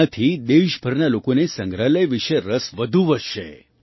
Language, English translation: Gujarati, This will enhance interest in the museum among people all over the country